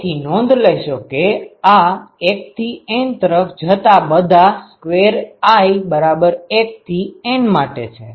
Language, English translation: Gujarati, So, note that this is for all i going from 1 to N